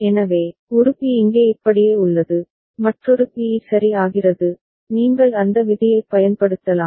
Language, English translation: Tamil, So, one b remains here like this, another b becomes e ok, you can employ that rule